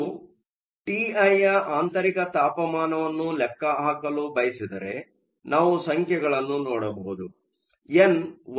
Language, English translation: Kannada, If you want to calculate the value of T i the intrinsic temperature, we can look at the numbers